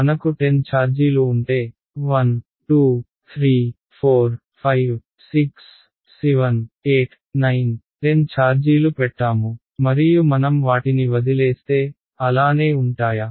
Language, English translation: Telugu, Imagine you have let us say 10 charges, I put 1 2 3 4 5 6 7 8 9 10 charges and I leave them, will they stay like that, what will where will they go